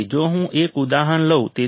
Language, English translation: Gujarati, So, if I take an example